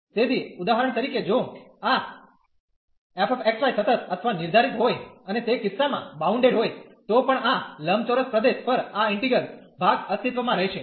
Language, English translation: Gujarati, So, for example, if this f x, y is continuous or defined and bounded in that case also this integral will exist on this rectangular region